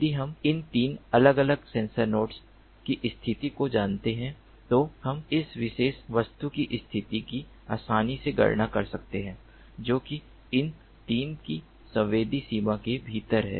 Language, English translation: Hindi, using the concept of trilateration, if we know the positions of these three different sensor nodes, we can easily compute the position of this particular object which is within the sensing range of these three